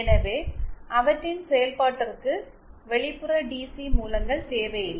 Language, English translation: Tamil, So they do not need an external DC source for their operation